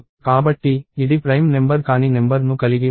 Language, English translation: Telugu, So, it does not have any number which is not a prime number